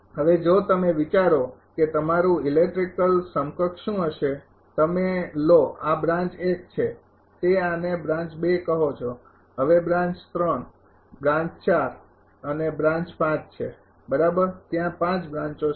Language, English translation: Gujarati, Now, if you think that will be the electrical equivalent you take this is branch 1 this is say branch 2 now branch 3, branch 4 and this is branch 5 right there are 5 branches